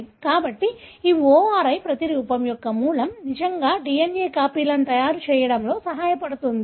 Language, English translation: Telugu, So, this ORI, origin of replication really helps in making copies of the DNA